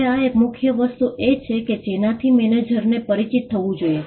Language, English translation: Gujarati, Now, this is a key thing which manager should be acquainted